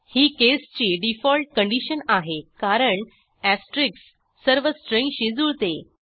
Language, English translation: Marathi, This is the default case condition because the asterisk will match all strings